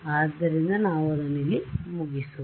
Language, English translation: Kannada, So, we will close it over here